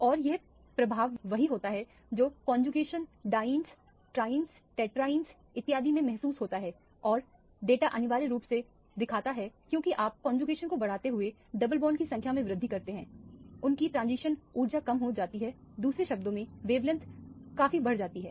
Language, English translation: Hindi, And this effect is what is felt in the conjugated dienes, trienes, tetraene and so on and at the data illustrates essentially as you increase the conjugation by increasing the number of double bonds, their transition energy decreases in other words the wavelength increases quite considerably